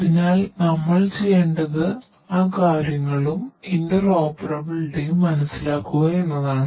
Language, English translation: Malayalam, So, so, what we need to do is to understand those things and also interoperability